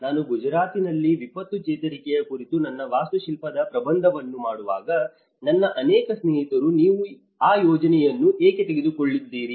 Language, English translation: Kannada, When I was doing my architectural thesis on disaster recovery in Gujarat, many of my friends advised why are you taking that project, do you really have a future in that profession